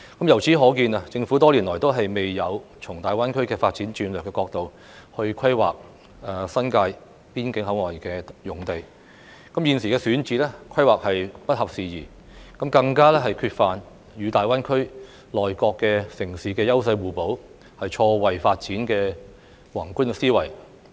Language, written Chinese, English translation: Cantonese, 由此可見，政府多年來都未有從大灣區發展戰略的角度來規劃新界邊境口岸用地，現時選址、規劃都不合時宜，更缺乏與大灣區內各城市優勢互補、錯位發展的宏觀思維。, This shows that over the years the Government has failed to take into account the development strategy of GBA in the course of its land planning for the border areas in the New Territories thus the current site selection and planning are behind the times . It also lacks macro thinking in considering mutual complementarity and differential development with other cities in GBA